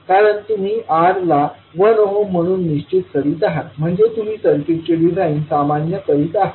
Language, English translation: Marathi, Because you are fixing R as 1 ohm means you are normalizing the design of the circuit